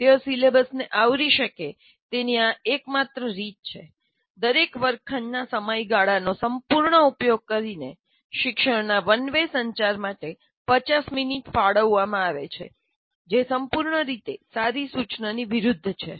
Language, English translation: Gujarati, And the only way they can cover the syllabus is the entire 50 minutes that is allocated for each classroom period is used only for one way communication, which is totally against good instruction